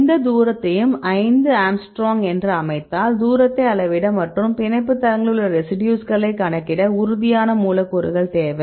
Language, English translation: Tamil, If we set up any distance say 5 angstrom we need a heavy atoms with there within the distance you can identify these has binding site residues right